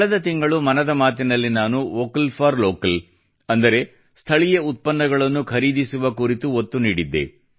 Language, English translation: Kannada, Last month in 'Mann Ki Baat' I had laid emphasis on 'Vocal for Local' i